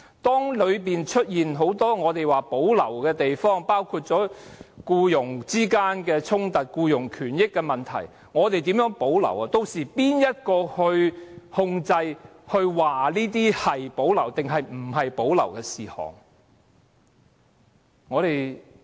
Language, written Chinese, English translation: Cantonese, 當中出現很多我們說須保留的地方，包括僱傭衝突和僱傭權益等問題，我不知道我們可以怎樣保留這些事項，屆時由誰控制和決定甚麼事項須保留和無須保留？, For the many reserved matters that will arise such as employment - related conflicts or labour rights and interests I do not know how there can be reservations about these matters . Who will have control and the say on what matters are reserved matters and what are not? . This freak is created by us